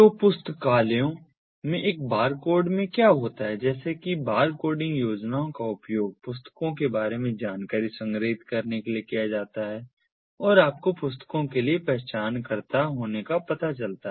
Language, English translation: Hindi, like in libraries, cetera, in a bar bar coding schemes are typically used to store information about the books and you know, having the identifiers for the books